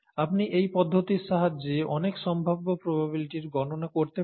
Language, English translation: Bengali, You could do a lot of possibility probability calculations with this approach